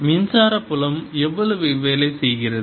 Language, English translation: Tamil, how much work does the electric field do